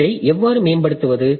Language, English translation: Tamil, So, how can I improve this